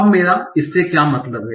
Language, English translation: Hindi, Now what do I mean by this